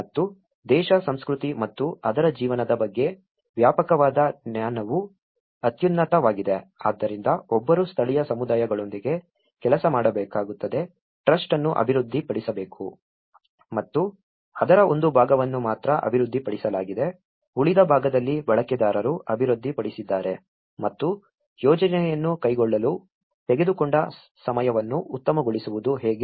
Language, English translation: Kannada, And extensive knowledge of the country, culture and its life is a paramount, so one has to work with the local communities the trust has to be developed and only a part of it has been developed in the remaining part has been developed by the users and how to optimize the time taken to carry out the project